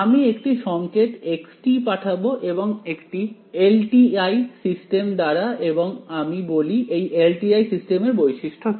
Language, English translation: Bengali, I send signal x through some LTI system and I say that what is that LTI system characterized by